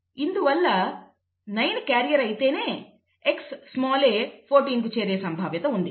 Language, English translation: Telugu, So it is the probability that 9 is a carrier and Xa goes to 14